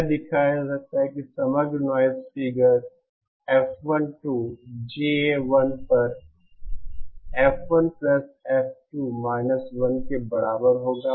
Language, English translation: Hindi, It can be shown that overall noise figure F12 will be equal to F1+F2 1 upon GA1